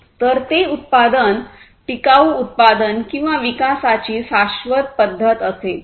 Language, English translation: Marathi, So, that will be a sustainable method of manufacturing, sustainable method of production or development